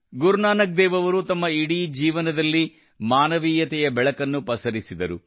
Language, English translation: Kannada, Throughout his life, Guru Nanak Dev Ji spread light for the sake of humanity